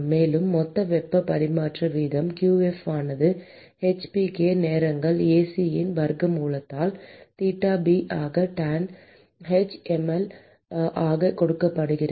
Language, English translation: Tamil, And the total heat transfer rate qf is given by square root of h p k times Ac into theta b into tanh mL